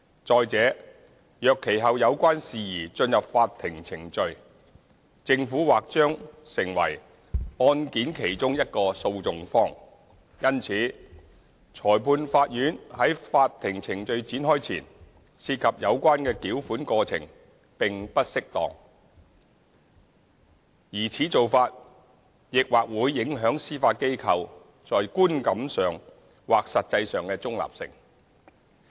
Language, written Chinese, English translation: Cantonese, 再者，若其後有關事宜進入法庭程序，政府或將成為案件其中一個訴訟方；因此，裁判法院在法庭程序展開前涉及有關的繳款過程並不適當，而此做法亦或會影響司法機構在觀感上或實際上的中立性。, Moreover as the Government may become one of the parties to a court case if so initiated later it is not appropriate for the Magistrates Courts to be involved in the payment processes before the initiation of the court case . This may affect the neutrality of the Judiciary perceived or real